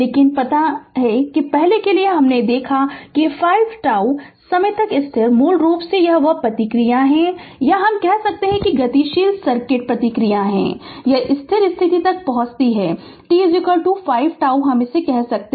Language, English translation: Hindi, But, you know that say for earlier we have seen that up to 5 tau time constant, basically that responses or the I could say that dynamic res[ponse] circuit responses, it reaches to the steady state right for t is equal to say 5 tau